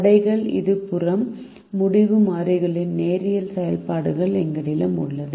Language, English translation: Tamil, the constraints left hand side we have linear functions of the decision variables